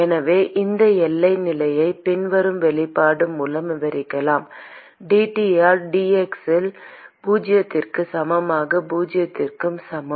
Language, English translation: Tamil, So, we can describe this boundary condition by the following expression dT by dx at x equal to zero equal to zero